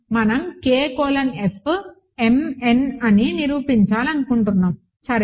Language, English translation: Telugu, So, we want to prove K colon F is m n, ok